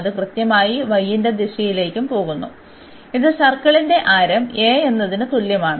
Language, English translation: Malayalam, So, from 0 to the circle and it in the direction of y it is exactly going to y is equal to a that is the radius of this circle